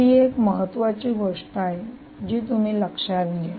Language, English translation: Marathi, um, so this is one important thing which you have to note